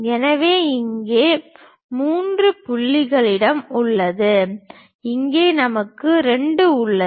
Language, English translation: Tamil, So, here 3 we have, here we have 2